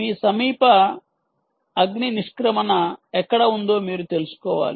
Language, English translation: Telugu, um, you want to know where your nearest fire exit